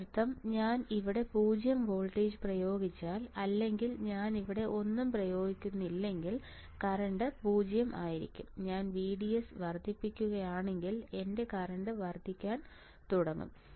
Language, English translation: Malayalam, That means if I do not apply anything here if I apply 0 voltage here, you see in the left side right then the current will be 0 it will not flow right if I increase VDS my current will start increasing right